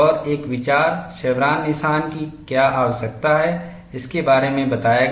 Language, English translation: Hindi, And the idea of, what is a need for chevron notch was explained